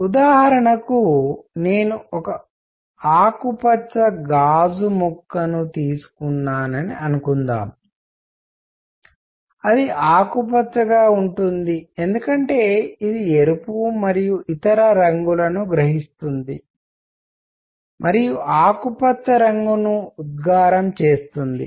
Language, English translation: Telugu, For example, suppose I take a green piece of glass, it is green because it absorbs the red and other colors and reflects green